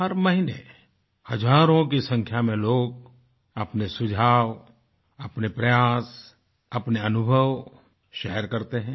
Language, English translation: Hindi, Every month, thousands of people share their suggestions, their efforts, and their experiences thereby